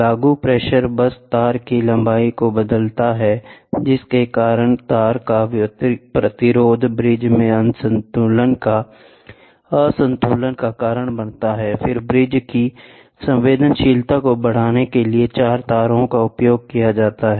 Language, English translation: Hindi, The applied pressure just changes the length of the wire due to which the resistance of the wire varies causing an imbalance in the bridge, the four wires are used to increase the sensitivity of the bridge